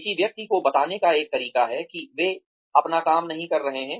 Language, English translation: Hindi, There is a way of telling a person, that they are not doing their work